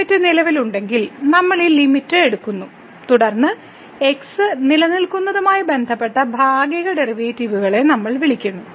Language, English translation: Malayalam, So, we are taking this limit if this limit exist, then we call the partial derivatives with respect to x exist